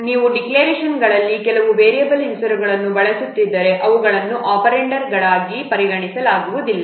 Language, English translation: Kannada, If you are using some variable names in the declarations they are not considered as operands